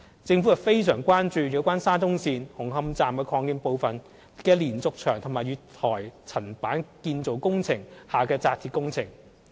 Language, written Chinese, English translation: Cantonese, 政府非常關注有關沙中線紅磡站擴建部分的連續牆及月台層板建造工程下的扎鐵工程。, The Government is very concerned about the steel reinforcement fixing works and other works in respect of the diaphragm wall and platform slab construction works at the Hung Hom Station Extension under the SCL project